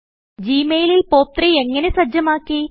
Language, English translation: Malayalam, How did I enable POP3 in Gmail